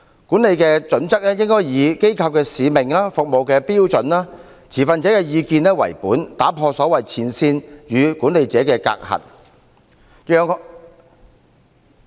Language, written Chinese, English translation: Cantonese, 管理的準則，應以機構的使命、服務的目標、持份者的意見為本，打破所謂前線與管理者的隔閡。, Management criteria should be based on the mission of organizations service targets and stakeholders views thus removing the barrier between frontline workers and the management